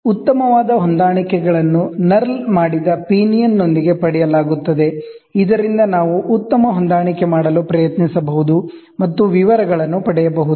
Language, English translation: Kannada, The fine adjustments are obtained with a small knurled headed pinion that is used, so that we can try to do fine adjustment and get the details